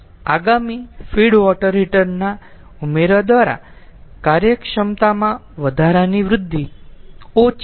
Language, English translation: Gujarati, addition of feed water heater increases the efficiency